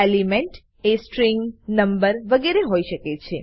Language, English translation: Gujarati, Elements can be string, number etc